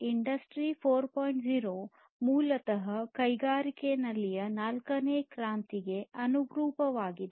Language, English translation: Kannada, 0 basically corresponds to the fourth revolution in the industries